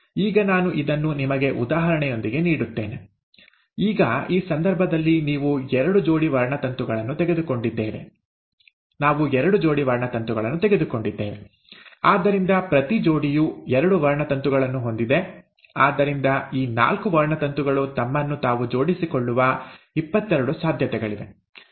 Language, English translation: Kannada, Now let me give this to you with an example, now in this case, we have taken two pairs of chromosomes; so, each pair of, so you have two chromosomes, so there are 22 possibilities by which these four chromosomes can arrange themselves